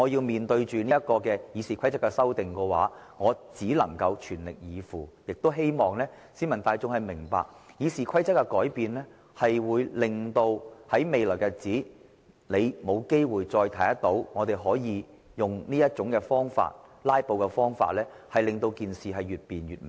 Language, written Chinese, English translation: Cantonese, 面對着《議事規則》的修訂，我只能全力以赴，亦希望市民大眾明白，《議事規則》一經修訂，我們日後便無法再以"拉布"的方式令事情越辯越明。, When facing the amendments to RoP I have to strike back with all - out efforts . I also hope the public will understand that once RoP has been amended we will no longer be able to clarify matters through filibustering